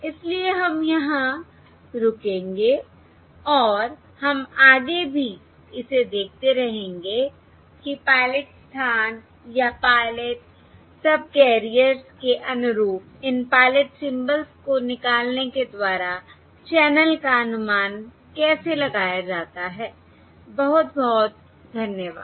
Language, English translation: Hindi, So we will stop here and we will continue with this further to look at how the channel is subsequently estimated by extracting these pilot symbols corresponding to the pilot location or the pilot subcarriers